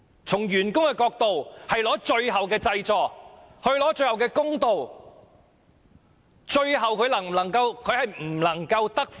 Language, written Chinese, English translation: Cantonese, 從員工的角度，是拿取最後的濟助，爭取最後的公道。, From the perspective of employees they have to get the final relief and strive for the final justice